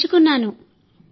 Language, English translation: Telugu, I have learned